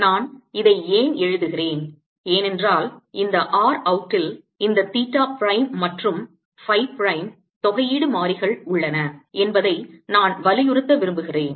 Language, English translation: Tamil, why i am writing this is because i want to emphasize that this r out here includes these theta prime and phi prime, the integration variables